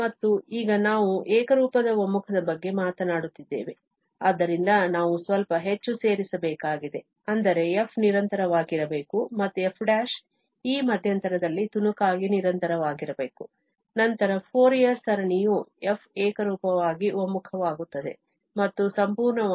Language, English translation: Kannada, And now, we are talking about the uniform convergence, so, we have to add a little more, that is the f has to be continuous and f prime should be piecewise continuous on this interval, then the Fourier series of f converges uniformly and also absolutely